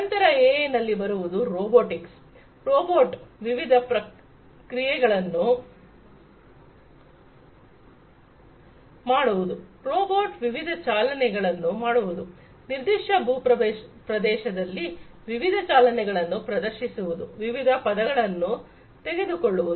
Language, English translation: Kannada, Then comes robotics AI in robotics, you know, robot performing different actions, you know robot making different moves, in a particular terrain, performing different moves, taking different trajectories, etcetera